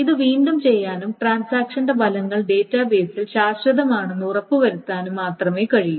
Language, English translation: Malayalam, It has to only redo and make sure that the effects of the transaction are permanent in the database